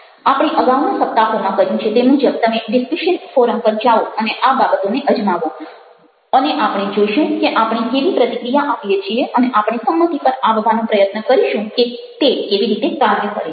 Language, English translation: Gujarati, so you go the discussion forum, as we have already done in the earlier weeks, and you try out those things and we will see how we respond and we will try to come an agreement as to how it is working out